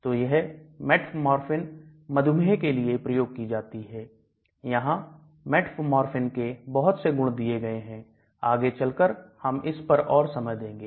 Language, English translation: Hindi, So this is metformin used for diabetes again lot of properties of metformin are given and here we will spend more time later as we go long